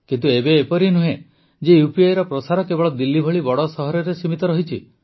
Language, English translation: Odia, But now it is not the case that this spread of UPI is limited only to big cities like Delhi